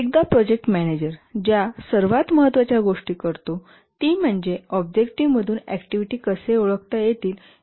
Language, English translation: Marathi, One of the most fundamental things that the project manager does is once the objectives have been identified, how to identify the activities from the objectives